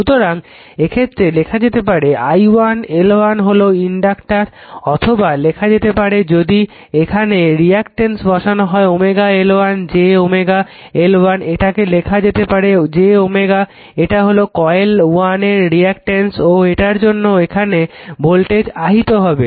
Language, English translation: Bengali, So, in that case you can write this one i1, L 1 is there this is the inductor this is L 1 or you can write or you can write if is a reactance you can put omega L 1 j omega L 1, this is also you can write j omega L 2 this is the reactance of coil 1 and because of there is voltage will induce it